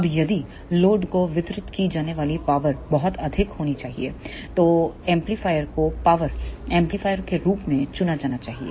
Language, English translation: Hindi, Now, if the power delivered to the load is required to be very high then the amplifier should be selected as power amplifier